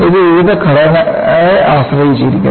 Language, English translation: Malayalam, It depends on various factors